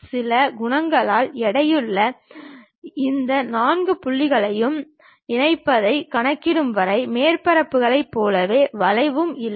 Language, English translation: Tamil, As with the surfaces, the curve itself does not exist, until we compute combining these 4 points weighted by some coefficients